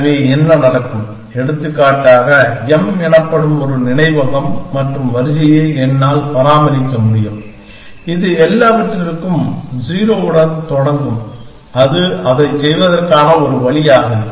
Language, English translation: Tamil, So, what will happen, I can maintain for example, a memory and array called M, which will start with 0 for everything that is one way of doing it